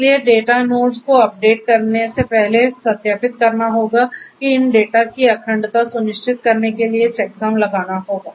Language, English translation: Hindi, So, before updating the data nodes would verify that check sums for ensuring the integrity of these data